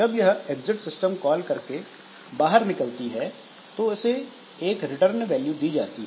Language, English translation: Hindi, So, when it exits, normally with the exit system call we can assign some return value